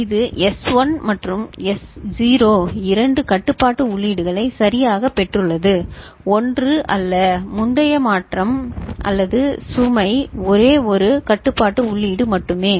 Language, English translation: Tamil, It has got S1 and S0 two control inputs right, not one earlier shift / load there is only one control input